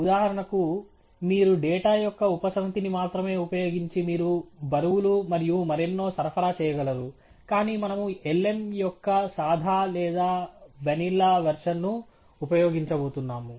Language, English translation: Telugu, You could, for example, model only using a subset of data, you could supply weights and so on, but we are going to use the most plain or vanilla version of lm